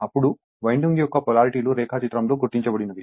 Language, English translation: Telugu, Then, the polarities of the winding are as marked in the diagram